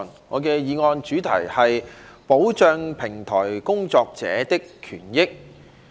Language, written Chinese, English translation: Cantonese, 我的議案題目是"保障平台工作者的權益"。, My motion is entitled Protecting the rights and interests of platform workers